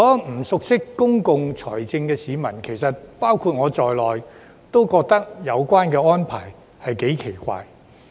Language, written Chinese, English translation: Cantonese, 不熟悉公共財政的市民，包括我在內，其實都覺得有關安排頗奇怪。, To people who do not know much about public finance including me such arrangement is a bit weird actually